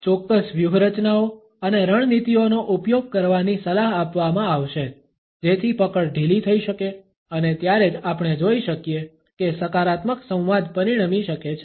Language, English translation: Gujarati, It would be advisable to use certain strategies and tactics so that the grip can be loosened, and only then we find that a positive dialogue can ensue